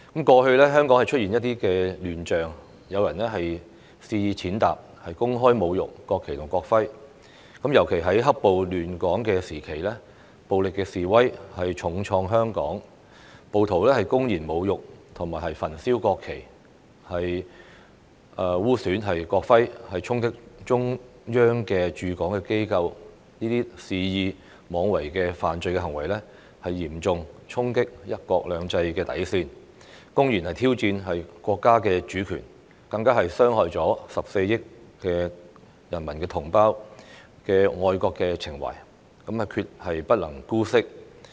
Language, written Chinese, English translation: Cantonese, 過去香港出現一些亂象，有人肆意踐踏、公開侮辱國旗及國徽，尤其在"黑暴"亂港時期，暴力示威重創香港，暴徒公然侮辱和焚燒國旗、污損國徽、衝擊中央駐港機構，這些肆意妄為的犯罪行為，嚴重衝擊"一國兩制"的底線，公然挑戰國家主權，更傷害14億同胞的愛國情懷，決不能姑息。, Hong Kong was then hard - hit by violent protests . Some rioters publicly desecrated and burnt the national flag defaced the national emblem stormed the Offices of the Central Peoples Government in Hong Kong . These willful acts and reckless criminal behaviour seriously threatened the limits of one country two systems and publicly challenged the national sovereignty; furthermore these acts and behaviour hurt the patriotic feelings of 1.4 billion compatriots and should not be condoned